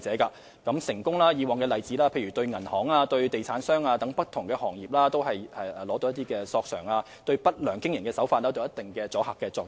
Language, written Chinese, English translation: Cantonese, 以往的成功例子包括向銀行和地產等不同行業取得賠償，對不良經營手法有一定的阻嚇作用。, There have been successful examples of obtaining compensation from various sectors including the banking and real estate sectors which have produced a certain deterrent effect against unscrupulous practices